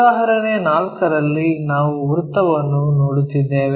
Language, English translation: Kannada, Here, as an example 4, we are looking at a circle